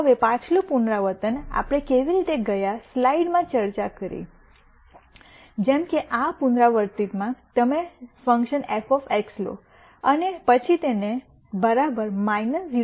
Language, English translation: Gujarati, Now, again much like how we discussed the previous iteration in the last slide, in this iteration if you were to take the function f of X and then set it equal to minus 2